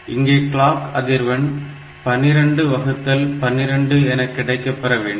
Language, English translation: Tamil, So, we should get a clock frequency of 12 by 12; so, you know that this for the timer